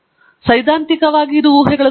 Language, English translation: Kannada, Theoretically does it satisfy theoretical assumptions